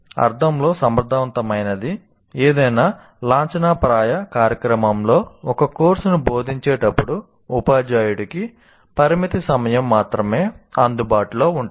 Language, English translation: Telugu, Efficient in the sense for in any formal program, there is only limited time available to a teacher when he is teaching a course